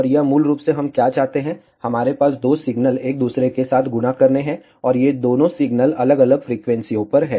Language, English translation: Hindi, And this is basically what we want, we have two signals multiplying with each other, and these two signals are at different frequencies